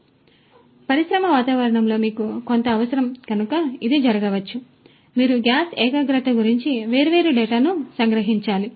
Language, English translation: Telugu, So, it might so happen that you need certain you know in an industry environment, industrial environment you need to capture different data about the gas concentration